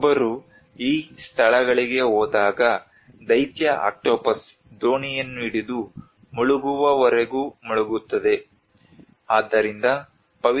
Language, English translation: Kannada, When one goes to these places, the giant octopus holds onto the boat and sinks it till it drowns